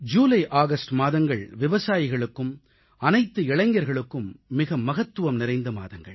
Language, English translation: Tamil, Usually, the months of July and August are very important for farmers and the youth